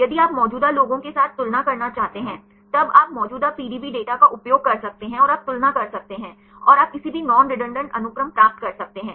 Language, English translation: Hindi, If you want to compare with the existing ones; then you can use the existing PDB data and you can compare and you can get any non redundant sequences